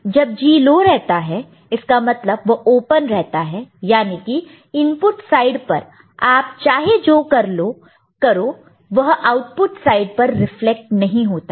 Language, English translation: Hindi, When this G is in this case low; that means, it is remaining open, whatever you do at the input side it does not get reflected at the output sides